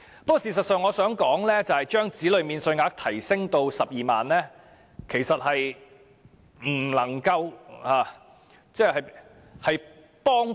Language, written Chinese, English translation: Cantonese, 不過，我想指出，將子女免稅額提升至12萬元的幫助不大。, However I would like to point out that increasing the child allowance to 120,000 may not be very helpful